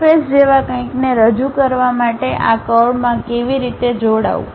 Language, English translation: Gujarati, How to join these curves to represent something like a surface